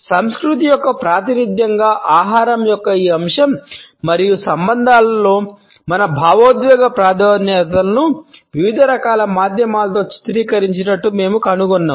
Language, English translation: Telugu, We find that this aspect of food as a representation of culture as well as our emotional preferences within relationships has been portrayed across different types of media